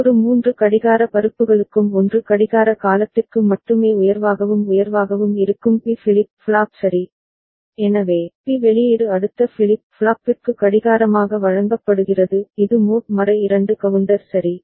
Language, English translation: Tamil, And the B flip flop which is going high and remaining high only for 1 clock period for every 3 clock pulses ok, so that is, that B output is fed as clock to the next flip flop that is the mod 2 counter right